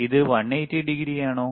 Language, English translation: Malayalam, Ist its 180 degree